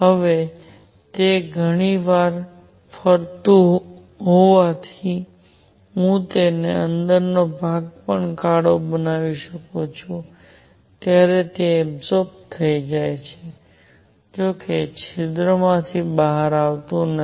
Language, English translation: Gujarati, Now, since it is going around many many times, every time I can even make it black inside, it gets absorbed; however, it does not come out of the hole